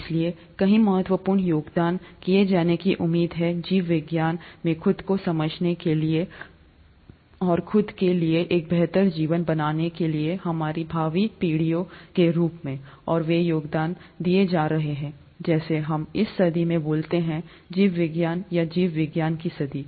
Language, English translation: Hindi, So many important contributions are expected to be made in biology to understand life ourselves, and to make a sustainable better life for ourselves as well as our future generations, and those contributions are being made as we speak in this century for biology, or century of biology